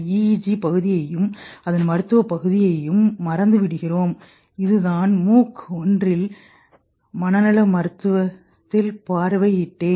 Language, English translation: Tamil, Forget the EG part and the clinical part of it which I have covered in one of the MOOC psychiatry and overview